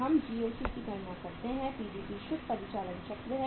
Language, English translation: Hindi, We calculate the GOC minus PDP is the net operating cycle